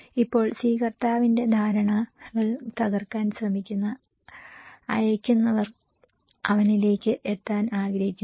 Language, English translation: Malayalam, Now, the senders who try to break the perceptions of the receiver he wants to reach him